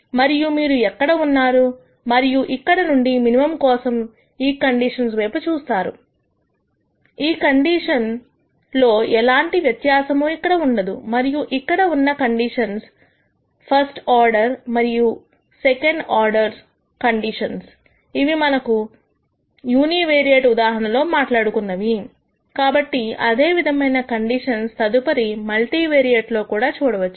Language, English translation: Telugu, And you will be here and from here when you look at the conditions for minimum there will not be any difference between the conditions here and the conditions here in terms of the first order and second order conditions that we talked about in the univariate case we will see what the equivalent conditions are in the multivariate case subsequently